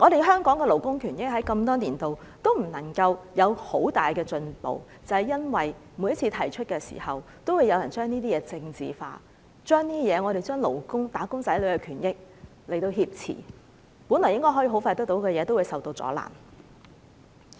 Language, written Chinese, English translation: Cantonese, 香港的勞工權益多年來都沒有太大進步，正正是因為每次提出來的時候，都有人把議題政治化，把"打工仔女"的勞工權益挾持，原本很快可以得到的東西都會受阻攔。, Over these years there has not been much improvement in labour rights and interests in Hong Kong . The very reason is that every time when a labour issue is raised some will politicize it thus holding wage earners rights and interests hostage and hindering what can actually be achieved expeditiously